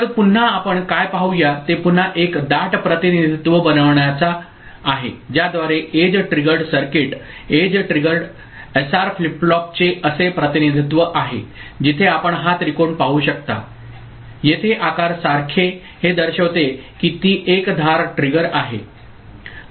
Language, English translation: Marathi, So, again what we shall see, what we shall try to do is to again make a compact representation and by which for edge triggered circuit the edge triggered SR flip flop we shall have a representation like this, where this you can see this triangle like shape here that indicates that it is an edge triggered ok